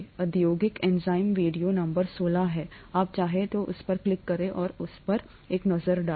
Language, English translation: Hindi, The industrial enzyme is video number 16, you might want to click on that and take a look at that